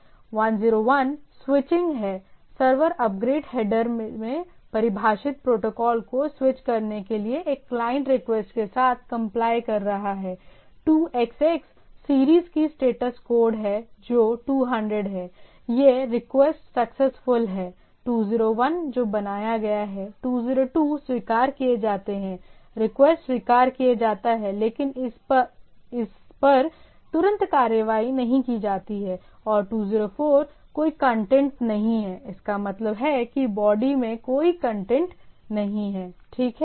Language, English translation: Hindi, 101 is the switching, the server is complying with a client request to switch protocols defined in the upgrade header, there are status code of 2xx series that is 200, that is OK, the request is successful; 201 that is created; 202 accepted, the request is accepted but it is immediately not immediately acted on and 204 no content, that means, there is no content in the body, right